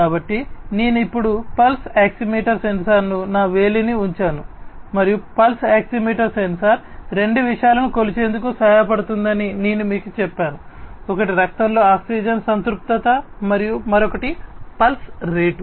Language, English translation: Telugu, So, I have now put the pulse oximeter sensor put my finger into it and I just told you that the pulse oximeter sensor helps in measuring two things one is the oxygen saturation in the blood and the other one is the pulse rate